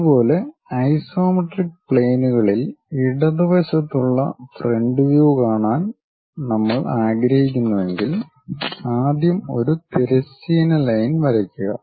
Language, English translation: Malayalam, Similarly, if we would like to have left sided front view in the isometric planes first draw a horizontal line